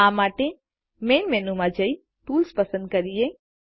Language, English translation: Gujarati, To do this: Go to the Main menu and select Tools